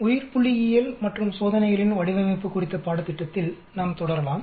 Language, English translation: Tamil, Let us continue on the course on Biostatistics and Design of Experiments